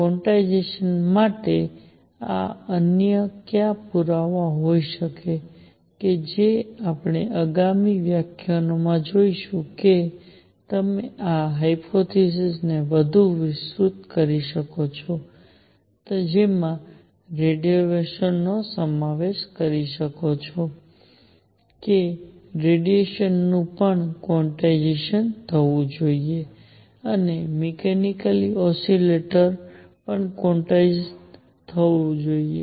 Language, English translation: Gujarati, What other evidences for quantization could be there that we will see in the next lecture that you can extend this hypothesis further to include radiation that radiation should also be quantized and also a mechanical oscillators should be quantized